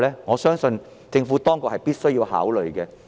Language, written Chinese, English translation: Cantonese, 我相信政府當局必須加以考慮。, I believe the Administration has to consider these questions